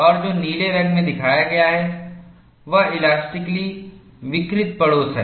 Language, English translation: Hindi, And what is shown in blue, is the elastically deformed neighborhood